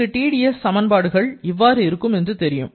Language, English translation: Tamil, Now, we know that Tds equation is du=Tds Pdv